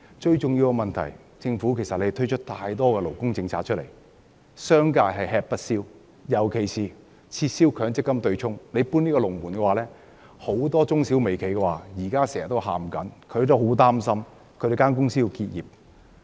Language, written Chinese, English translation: Cantonese, 最重要的問題是，政府推出了太多勞工政策，令商界吃不消，尤其是撤銷強積金對沖，政府"搬龍門"令到很多中小微企均叫苦連天，擔心會結業。, The most important problem is that the introduction of too many labour policies by the Government has put an unbearable burden on the business sector especially the abolition of the offsetting arrangement under the MPF System . By moving the goalpost the Government has aroused widespread grievances among MSMEs fearing that they might have to close down